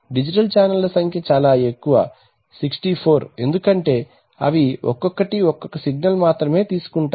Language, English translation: Telugu, Typically number of digital channels are much more 64, like that because they take only one signal each, resolution says what